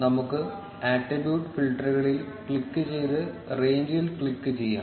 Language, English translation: Malayalam, Let us click on the attributes filters and click on range